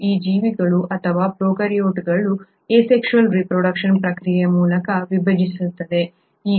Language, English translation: Kannada, And, these organisms or prokaryotes divide through the process of asexual reproduction